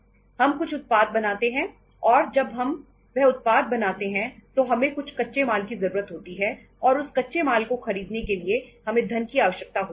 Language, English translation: Hindi, We are manufacturing some product and when we are manufacturing that product we need raw material and to buy the raw material you need to have funds